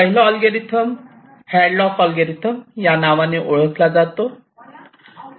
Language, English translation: Marathi, let see, the first one is called hadlocks algorithm